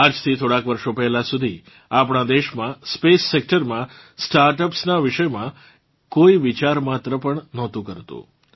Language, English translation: Gujarati, Till a few years ago, in our country, in the space sector, no one even thought about startups